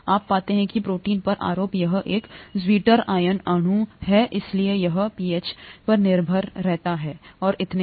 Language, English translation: Hindi, You know that the charges on the protein, this is a zwitter ionic molecule, therefore it is pH dependent and so on